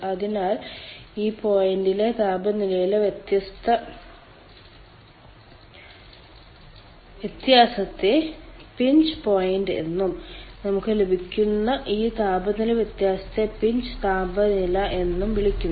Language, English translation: Malayalam, so the difference of temperature, or this point is called pinch point, and this temperature difference, what a